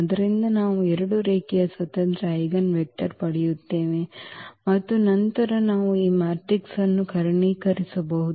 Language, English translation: Kannada, So, we will get two linearly independent eigenvectors and then we can diagonalize this matrix